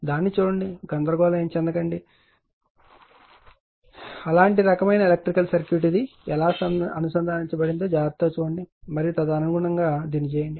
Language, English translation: Telugu, Look at that, sometimes you should not be confused looking is such kind of electrical, such kind of circuit see carefully how this is connected and accordingly you will do it